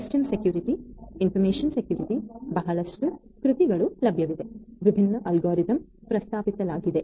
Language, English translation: Kannada, System security, information security; lot of works are available, lot of different algorithms have been proposed